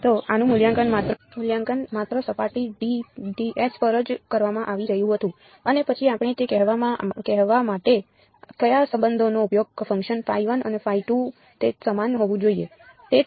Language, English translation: Gujarati, So, these were only being evaluated on the surface S and then what relation did we use to say that phi 1 and phi 2 should be the same